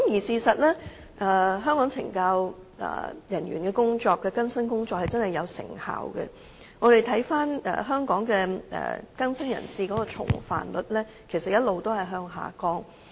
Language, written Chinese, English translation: Cantonese, 事實上，香港懲教人員的更生工作也確實有成效，我們看到香港更生人士的重犯率一直下降。, In fact the rehabilitation work of CSD staff is effective . We can see that the rate of recidivism among rehabilitated offenders is declining